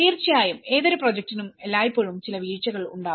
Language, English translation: Malayalam, Of course, for any project, there are always some downturns